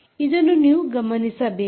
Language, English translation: Kannada, you have to note this